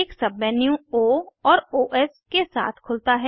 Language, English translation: Hindi, A Submenu opens with O and Os